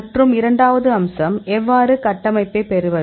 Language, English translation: Tamil, And the second aspect; how did we get the structure